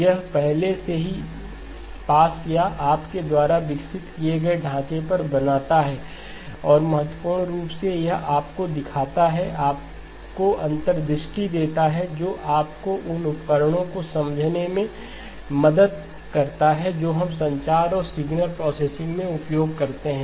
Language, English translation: Hindi, It already builds on the framework that you have or you have developed and importantly it shows you, gives you insights that help you understand the tools that we work with in communications and signal processing